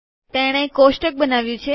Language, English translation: Gujarati, So it has created the table